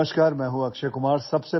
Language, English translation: Marathi, Hello, I am Akshay Kumar